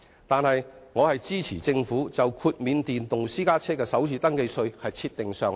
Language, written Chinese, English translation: Cantonese, 但我支持政府就豁免電動私家車的首次登記稅設定上限。, But I support the Governments decision to cap the FRT exemption for electric private vehicles